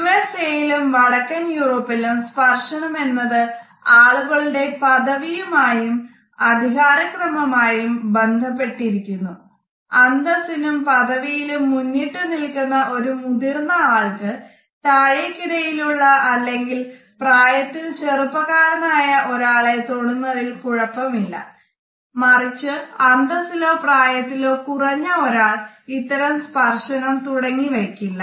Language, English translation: Malayalam, In the USA and in Northern Europe touch also has a lot to do with his status and this status related hierarchies, people who are older or of higher status can comfortably touch a person who is younger or lower in status, but a younger person or a person who is lower in status would never initiate this touch